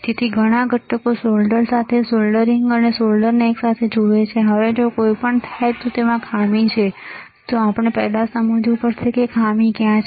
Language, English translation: Gujarati, So, many components solder together see soldering solder together, now if something happens and then there is a fault it is, we have to first understand, where is the fault